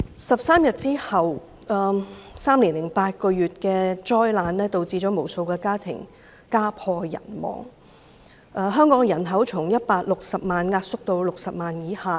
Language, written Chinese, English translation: Cantonese, 十三天之後 ，3 年零8個月的災難導致無數家庭家破人亡，香港人口從160萬萎縮至60萬以下。, As a result countless families were ruined and the population of Hong Kong shrank from 1.6 million to less than 600 000